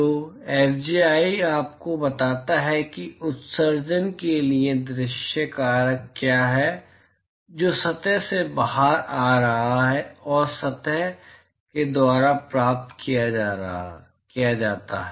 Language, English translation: Hindi, So, Fij tells you what is the view factor for emission which is coming out of the surface i and is received by surface j